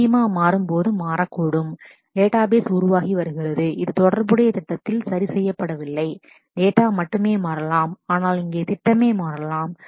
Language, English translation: Tamil, The schema may itself change while the database is evolving which is not the case in the relational schema is fixed, only the data can change, but here the schema itself can change